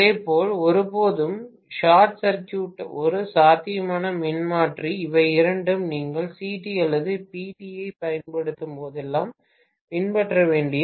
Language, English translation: Tamil, Similarly, never ever short circuit a potential transformer, both these are literally rules you guys have to follow whenever you are using CT or PT